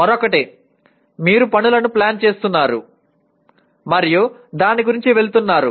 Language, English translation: Telugu, The other one is one is you are planning the tasks and going about it